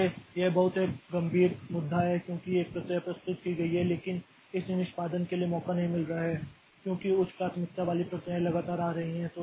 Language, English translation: Hindi, So, this this is a very serious issue because one process has been submitted but it is not getting chance for execution because of this high priority processes are continually coming